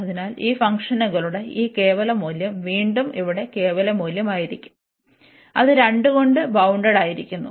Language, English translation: Malayalam, So, this absolute value of these functions will be again the absolute value here, which is bounded by 2